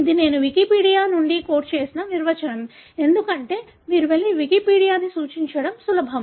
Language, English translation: Telugu, This is a definition I quote from Wikipedia, because it is easy for you to go and refer to the Wikipedia